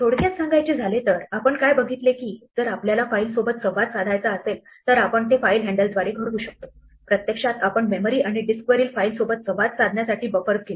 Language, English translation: Marathi, To summarize what we have seen is that, if you want to interact with files we do it through file handles, which actually corresponds to the buffers that we use to interact between the memory and the file on the disk